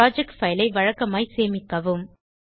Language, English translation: Tamil, Save the project file regularly